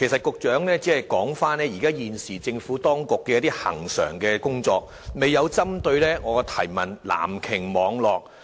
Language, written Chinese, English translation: Cantonese, 局長只是提及政府當局現時的一些恆常工作，未有針對我提問的"藍鯨"網絡作答。, The Secretary only mentioned some regular work the Administration was doing at present . He did not respond directly to my question on the Blue Whale network